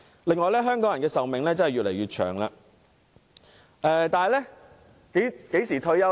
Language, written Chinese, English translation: Cantonese, 另外，香港人的壽命越來越長，但香港人何時退休呢？, Besides the life expectancy of Hong Kong people is getting longer but when can they retire?